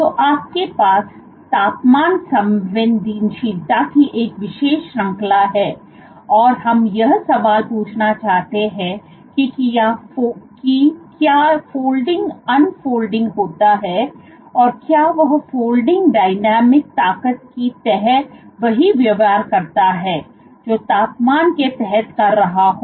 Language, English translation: Hindi, So, what you have is a vast range of temperature sensitivity, and the question we wish to ask is does the folding unfold does the folding dynamics under forces behave similarly to that under temperature